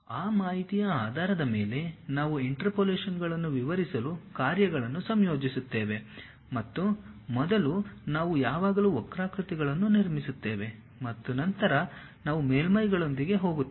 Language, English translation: Kannada, Based on that information we will blend the functions to describe the interpolations and first we will always construct curves and then we will go with surfaces